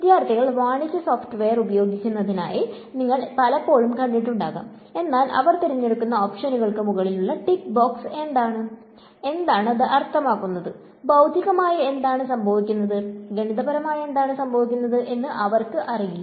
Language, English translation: Malayalam, Many times you will I have seen that students they use commercial software, but they do not know what are the tick box over options that they are clicking for, what does it mean, what is physically happening, what is mathematically happening